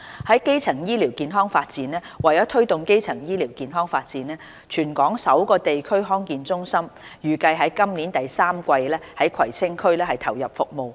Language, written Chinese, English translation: Cantonese, 在基層醫療發展方面，為推動基層醫療發展，全港首個地區康健中心，預計今年第三季在葵青區投入服務。, As regards the development of primary health care with the aim of promoting the development of primary health care Hong Kongs first district health centre DHC located in Kwai Tsing District is expected to commence operation in the third quarter of this year